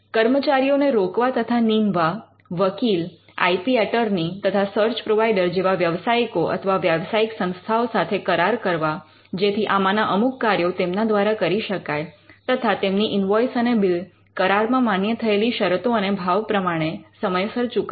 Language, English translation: Gujarati, Hiring and appointing personal and contracting with professionals and professional institution such as, lawyers IP, attorneys, search providers to outsource one or more of these operations and paying and honoring their invoices and bill as per contracted terms and tariffs